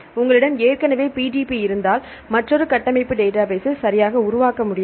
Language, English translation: Tamil, I already if you PDB is available you cannot make another structure database right